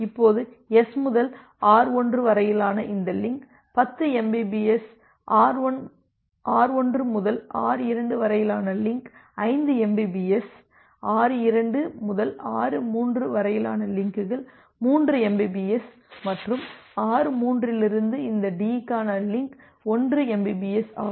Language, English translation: Tamil, Now just think of a scenario that well this link from S to R1, it is 10 mbps; the link from R1 to R2, it is 5 mbps; the links from R2 to R3, it is 3 mbps and the link from R3 to this D this is 1 mbps